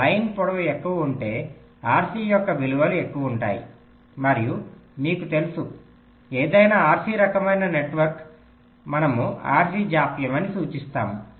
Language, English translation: Telugu, so longer the line, longer will be the values of rc and, as you know, for any rc kind of a network we refer to as it as rc delay